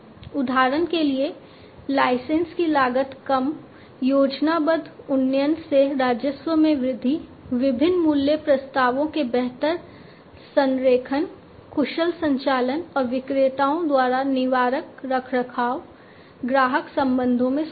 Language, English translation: Hindi, For example, reduced licensing costs, increased revenue from planned upgrades, better alignment of the different value propositions, efficient operations and preventive maintenance by vendors, improved customer relationships customer relations